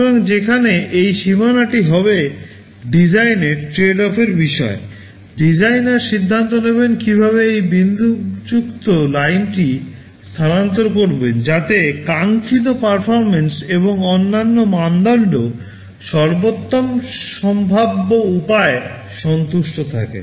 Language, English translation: Bengali, So, where this boundary will be is a matter of design tradeoff, the designer will decide how to shift this dotted line, so that desired performance and other criteria are satisfied in the best possible way